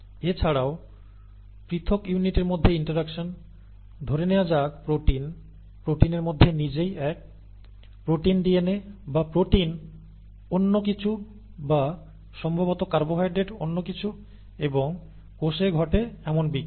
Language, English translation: Bengali, Also, interactions between individual units, say proteins, amongst proteins itself is 1; protein DNA, okay, or protein something else or maybe carbohydrate something else and so on or reactions that that occur in the cell